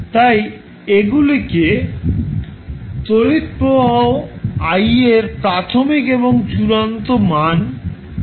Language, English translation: Bengali, So, these are called initial and final values of current i